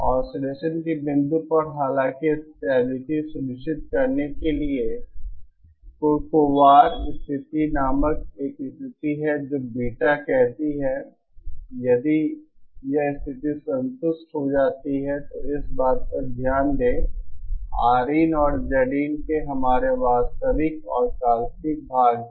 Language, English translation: Hindi, Um at the point of oscillation however, in order to insure stability there is a condition called Kurokawar condition which states that BetaÉ If this condition is satisfied, here note this R in and X in our real and imaginary parts of Z in